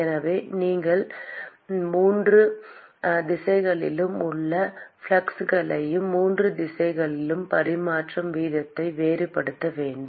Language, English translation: Tamil, So, therefore you have to distinguish the fluxes in all three directions and the transfer rate in all three directions